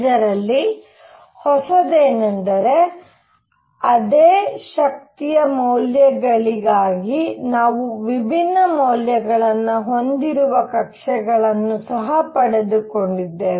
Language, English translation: Kannada, However, what was new in this was that for the same energy values we also obtained orbits which could be of different values